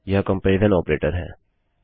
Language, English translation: Hindi, This is the comparison operator